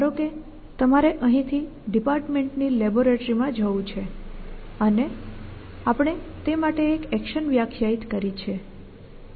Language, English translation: Gujarati, That let say let you want to go from here to a lab on the department and we have defined an action for that